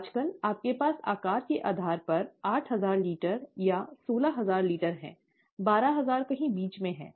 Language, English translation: Hindi, Nowadays you have eight thousand litres or sixteen thousand litres, depending on the size; twelve thousand is somewhere in the middle